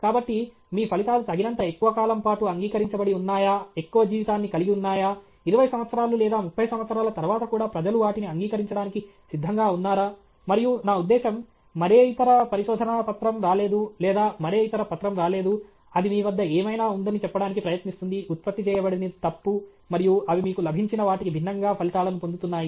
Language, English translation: Telugu, So, are your results having enough shelf life, that even after 20 years or 30 years, people are ready to accept it, and I mean, no other paper has come or no other paper has come which tries to say that whatever you have generated is erroneous, and they are getting results much different from what you got and so on